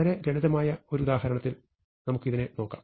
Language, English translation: Malayalam, So, let us look at this in a very simple example